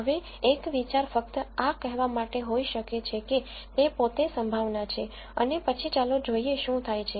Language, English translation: Gujarati, Now one idea might be just to say this itself is a probability and then let us see what happens